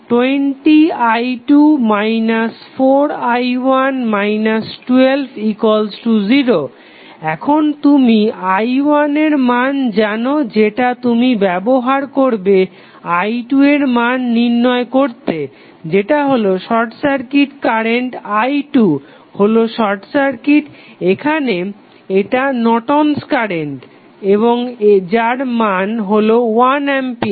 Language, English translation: Bengali, Now, you know the value of i 1 you simply put the value of i 1 here and you will get the current i 2 that is nothing but the short circuit current because i 2 is nothing but the short circuit here this is also a Norton's current and you get the value of Norton's current as 1 ampere